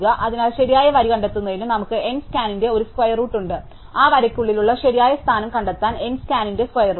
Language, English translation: Malayalam, So, we have a square root of N scan to find the correct row, the square root of N scan to find the correct position within that row